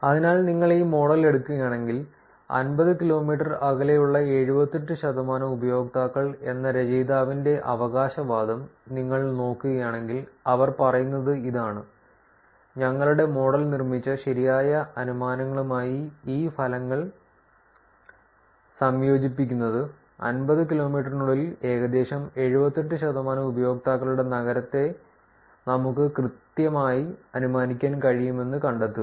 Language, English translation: Malayalam, So, if you just take this model, and then if you look at the author's claim that 78 percent of the users within 50 kilometers of distance, which is what they are saying is combining these results with the correct inferences produced by our model, we find that we can correctly infer the city of around 78 percentage of the users within 50 kilometers